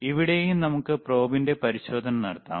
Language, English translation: Malayalam, Hhere also we can do the testing of the probe